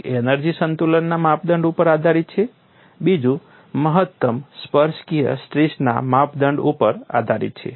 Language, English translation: Gujarati, Then we looked at two theories; one is based on energy balance criterion, another is on maximum tangential stress criteria